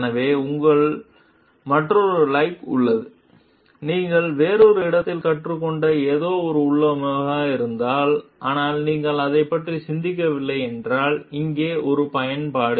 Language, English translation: Tamil, So, like, here is another like, if there is a configuration which is something that you have learnt about elsewhere, but if you have not thought of it, an application over here